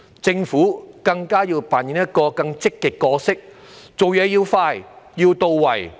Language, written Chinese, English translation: Cantonese, 政府要扮演更積極的角色，辦事要快、要到位。, The Government has to play a more proactive role by doing the right things expeditiously